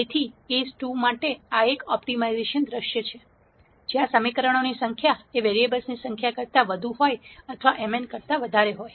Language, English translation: Gujarati, So, this is an optimization view for case 2, where the number of equations are more than the number of variables or m is greater than n